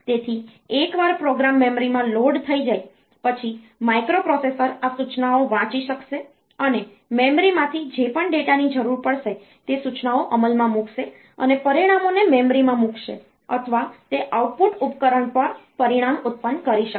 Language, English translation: Gujarati, So, once the program has been loaded into the memory then the microprocessor will be able to read these instructions and whatever data is needed from the memory execute those instructions and place the results in memory or it can produce the result on an output device